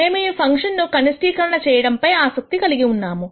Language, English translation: Telugu, We are interested in minimizing this function